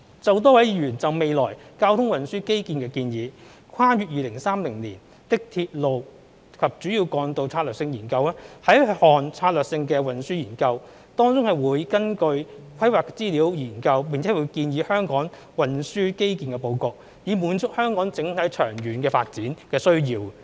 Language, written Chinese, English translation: Cantonese, 就多位議員就未來交通運輸基建的建議，《跨越2030年的鐵路及主要幹道策略性研究》是一項策略性運輸研究，當中會根據規劃資料研究並建議香港運輸基建的布局，以滿足香港整體長遠發展的需要。, As regards Members proposals on the future transport infrastructure the Strategic Studies on Railways and Major Roads beyond 2030 is a strategic transport study in which study will be conducted based on planning information and recommendations will be made on the layout of Hong Kongs transport infrastructure to meet the overall long - term development needs of Hong Kong